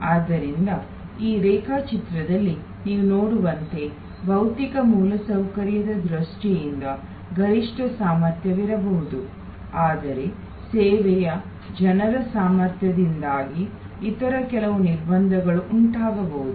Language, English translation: Kannada, So, in this diagram as you can see there can be a maximum capacity in terms of the physical infrastructure, but there can be some other constraints due to the capacity of the service people